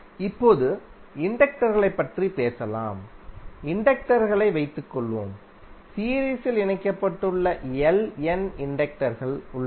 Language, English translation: Tamil, Now, let us talk about the inductors, suppose the inductors, there are Ln inductors which are connected in series